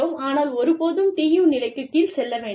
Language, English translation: Tamil, But, never go down to the level of, TU